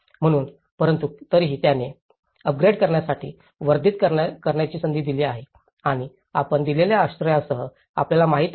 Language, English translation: Marathi, So, but, still, it has given a scope to enhance to upgrade and you know, with the given shelter